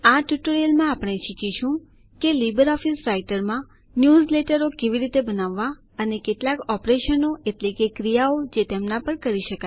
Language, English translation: Gujarati, In this tutorial we will learn how to create newsletters in LibreOffice Writer and a few operations that can be performed on them